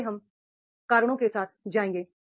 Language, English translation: Hindi, So first we will go by the reasons